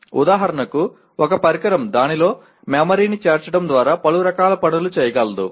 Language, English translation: Telugu, For example, a device can perform a variety of tasks by incorporating memory into it